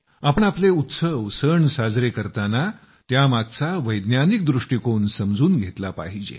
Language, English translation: Marathi, Let us celebrate our festivals, understand its scientific meaning, and the connotation behind it